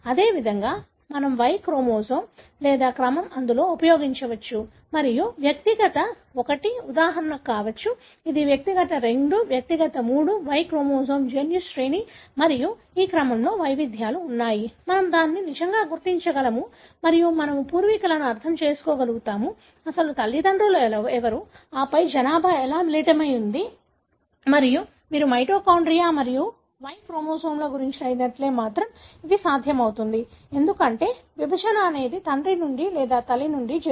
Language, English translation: Telugu, Likewise, we can use the Y chromosome or sequence therein and which could be for example, individual 1, individual 2, individual 3; there are variations in the Y chromosome gene sequence and this sequence, we can really trace it and we will be able to understand the ancestry; who are the original fathers and then how the population has mixed and this is possible only if you have traced the mitochondria and Y chromosome, because you know the, the segregation is either from father or from mother